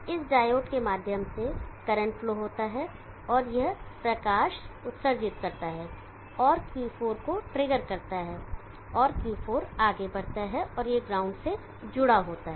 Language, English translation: Hindi, There is current flow through this diode, it emits light and triggers Q4 and Q4 goes on and this is connected to the ground